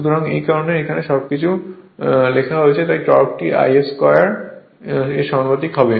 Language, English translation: Bengali, So, that is why this your everything is written here that is why torque is proportional to I a square